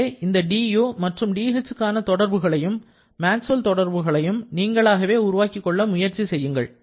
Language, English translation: Tamil, So, please develop these relations for du and dh and also the Maxwell's equations on your own